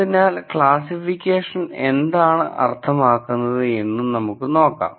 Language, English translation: Malayalam, So, let us look at what classification means